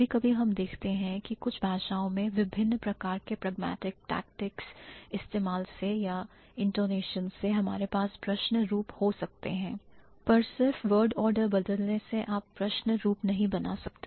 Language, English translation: Hindi, So, sometimes we do see certain languages or by using different kind of pragmatic tactics or the intonations we might have the question forms, but just by reverse or just by reversing the word order you cannot form a question